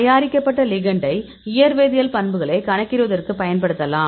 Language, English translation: Tamil, Once the ligands are prepared; then we can use the ligand for calculating the physicochemical properties